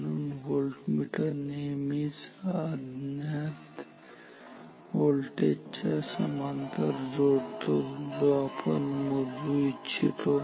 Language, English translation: Marathi, So, voltmeters are always connected in parallel to the unknown voltage that we want to measure